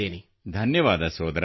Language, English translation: Kannada, Thank you brother